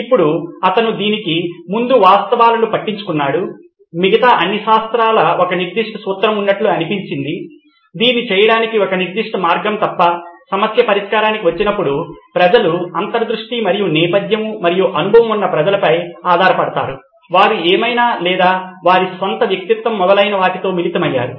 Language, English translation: Telugu, And now he was also bothered by the fact prior to this is that all the other sciences seem to have a certain formula, a certain way to do it except, when it came to problem solving people relied on intuition and a background and experience and people who they hung out with whatever or their own persona, etc etc